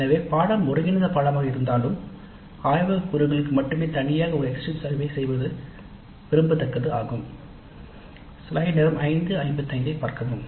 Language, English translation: Tamil, So it may be desirable even if the course is integrated course to have a separate exit survey only for the laboratory component